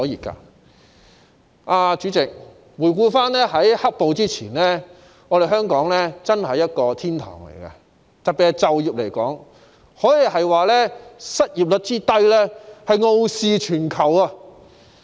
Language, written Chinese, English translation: Cantonese, 代理主席，回顧在"黑暴"發生前，香港真是一個天堂，特別是在就業方面，失業率之低可說是傲視全球。, Deputy President back then before the outbreak of the black - clad riots Hong Kong was really a paradise especially in terms of employment . Its low unemployment rate can be regarded as the envy of the world